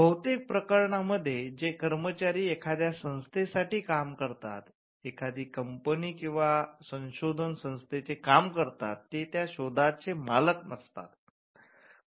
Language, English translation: Marathi, In most cases, employees who work for an organization, say a company or a research organization, do not own the invention